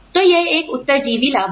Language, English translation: Hindi, So, this is a survivor benefit